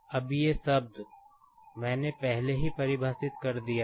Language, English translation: Hindi, Now, these terms, I have already defined